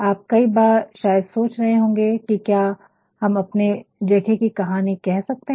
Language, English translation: Hindi, You might at times you thinking, can we really tell the story of our spaces